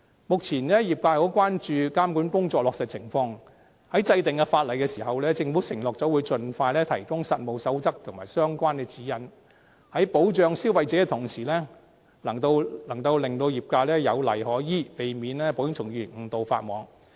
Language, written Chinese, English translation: Cantonese, 目前，業界很關注監管工作的落實情況，在制定法例時，政府承諾會盡快提供實務守則和相關指引，在保障消費者的同時，能令業界有例可依，避免保險從業員誤導法網。, At present the sector is very concerned about the implementation of the monitoring work . During legislation the Government has undertaken that it will provide the codes of practice and guidelines concerned as soon as possible so that while consumers can be protected the sector also has the provisions to follow and can thus prevent its employees from breaching the law inadvertently